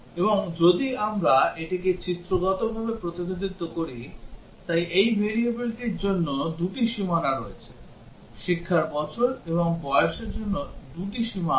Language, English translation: Bengali, And if we represent it pictorially, so there are 2 boundaries for this variable; years of education and for age there are 2 boundaries